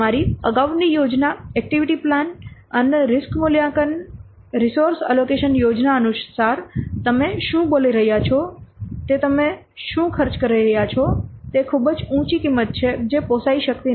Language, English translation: Gujarati, What is saying here, according to your previous plan, activity plan and risk assessment, resource allocation plan, what cost you are getting is a very high value, which cannot afford